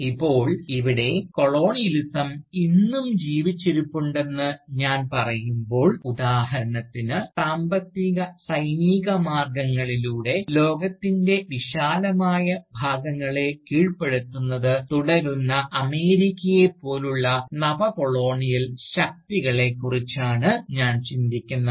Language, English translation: Malayalam, Now, here, when I am saying that, Colonialism is still alive today, I am thinking of Neo colonial powers like America for instance, which continue to subjugate vast parts of the world, by economic, as well as military means